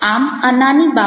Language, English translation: Gujarati, so these are a small things